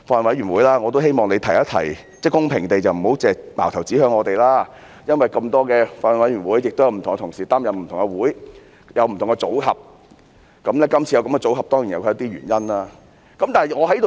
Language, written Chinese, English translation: Cantonese, 我也希望主席公平地提一提，不要只是把矛頭指向我們，因為有這麼多法案委員會，不同同事亦要負責不同會議，有不同組合，今次有這樣的組合，當然有其原因。, I wish that Chairman could be fair and would not fire criticisms at us . Given that there are so many Bills Committees and Members are responsible for attending different meetings there are certainly reasons for the composition of the Bills Committee concerned